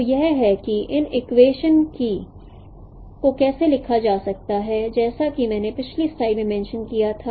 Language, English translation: Hindi, So this is how these equations are written as I mentioned in the previous slide